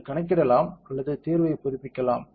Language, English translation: Tamil, You can do compute or update solution anything is fine